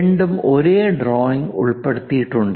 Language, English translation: Malayalam, Both are included in the same drawing